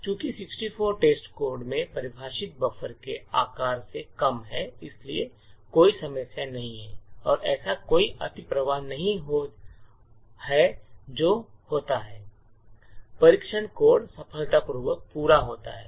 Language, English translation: Hindi, Since 64 is less than the size of the buffer defined in test code so there is no problem and there is no overflow that occurs, and test code completes successfully